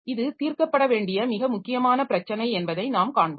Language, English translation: Tamil, So we'll see that there is this is a very important problem that needs to be resolved